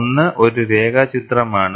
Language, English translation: Malayalam, Make a sketch of it